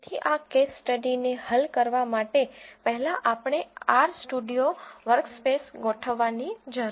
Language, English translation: Gujarati, So to solve this case study first we need to set up our R Studio workspace